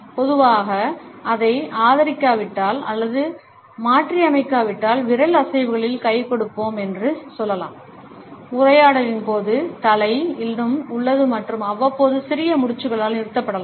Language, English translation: Tamil, Normally, if it is not supported or modified by let us say hand in finger movements, the head remains is still during the conversation and may be punctuated by occasional small nods